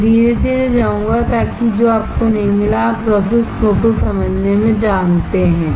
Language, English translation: Hindi, I will go slowly, so that you do not get, you know lost in understanding the process flow